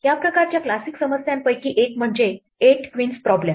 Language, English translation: Marathi, One of the classic problems of this kind is called Eight queens problem